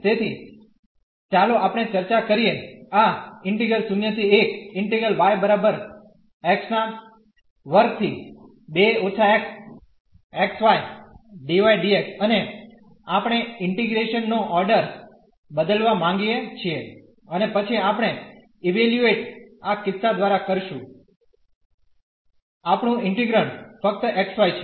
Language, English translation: Gujarati, And we want to change the order of integration and then we want to evaluate though in this case our integrand is just xy